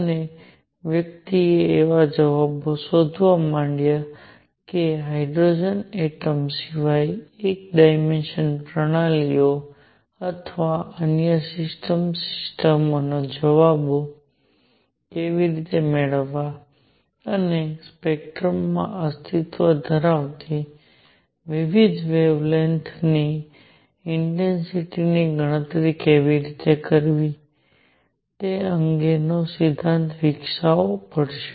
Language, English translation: Gujarati, And one had to find answers one had to develop a theory as to how how to get the answers of say one dimensional systems or other system systems other than hydrogen atom, and all also how to calculate intensities of various wavelengths that exist in a spectrum